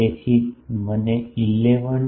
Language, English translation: Gujarati, So, started 11